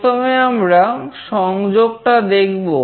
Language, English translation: Bengali, First we will see the connection